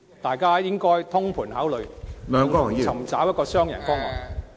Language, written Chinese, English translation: Cantonese, 大家都應該通盤考慮......尋找一個雙贏方案。, We all should look at the big picture to find a win - win solution